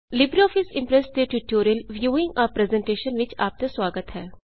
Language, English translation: Punjabi, Welcome to the tutorial on LibreOffice Impress Viewing a Presentation